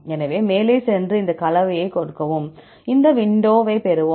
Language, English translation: Tamil, So, go ahead, click on this composition and we get this window